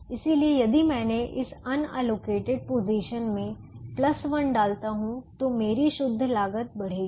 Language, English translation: Hindi, so if i put a plus one in this unallocated position, my net cost is going to increase